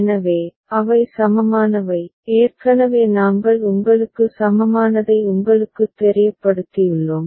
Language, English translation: Tamil, So, they are also equivalent, already we made you know equivalent ok